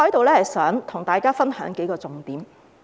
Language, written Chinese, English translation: Cantonese, 我想在此分享當中數個重點。, I would like to share some of the key points here